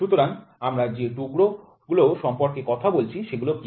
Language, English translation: Bengali, So, what are these pieces we are talking about